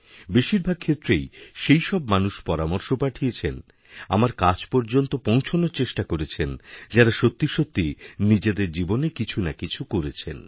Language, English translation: Bengali, Most of those who give suggestions or try to reach to me are those who are really doing something in their lives